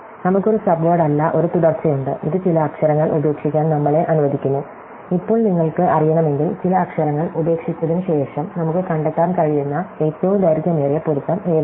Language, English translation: Malayalam, So, we have a subsequence not a sub word, it is allows us to drop some letters and now, if you want to know, after dropping some letters, what is the longest match we can find